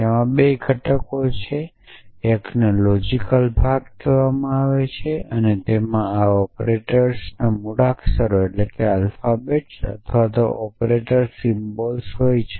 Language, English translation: Gujarati, It has 2 components; one is called the logical part and it essentially contains the alphabet of these operators or operator symbols